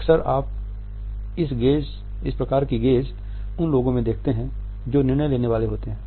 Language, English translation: Hindi, Often you would come across this type of a gaze in those people who are about to take a decision